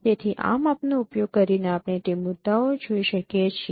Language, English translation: Gujarati, So using this measure we can locate those points